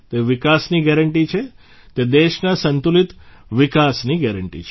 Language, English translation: Gujarati, This is a guarantee of development; this is the guarantee of balanced development of the country